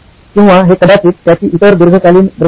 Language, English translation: Marathi, Or he could say this is his other long term vision